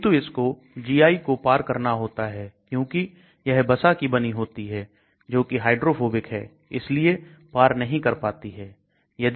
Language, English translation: Hindi, But it has to cross the GI which is made up of lipids, which is hydrophobic so it will not cross